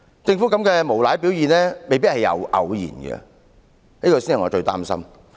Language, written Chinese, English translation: Cantonese, 政府這種無賴的表現未必是出於偶然，這才是我最擔心之處。, The rogue attitude of the Government is not necessarily accidental . This is what I am most worried about